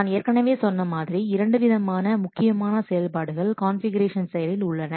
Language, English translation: Tamil, As I have already told you, there will be two main important operations in configuration process